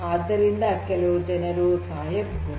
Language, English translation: Kannada, So, you know people might die, right